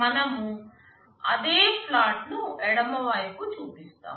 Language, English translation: Telugu, We show that same plot on the left